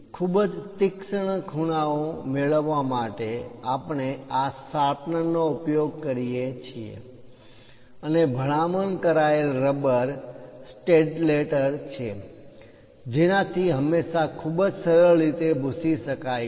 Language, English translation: Gujarati, To have very sharp corners, we use this sharpener, and the recommended eraser is Staedtler, which always have this very smooth kind of erase